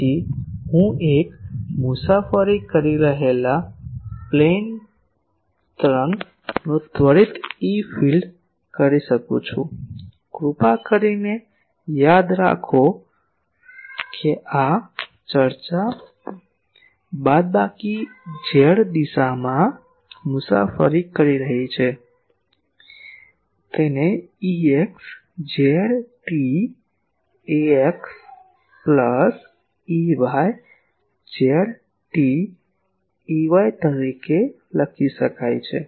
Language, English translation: Gujarati, So, I can the instantaneous E field of a plane wave travelling in a; please remember this discussion is travelling in a minus z direction, can be written as E x z t, ax plus E y z t ay